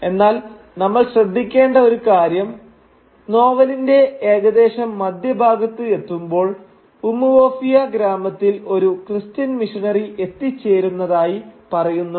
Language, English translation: Malayalam, But for now we just need to note that near about the mid way in the novel we are told that a Christian missionary has arrived in Umuofia village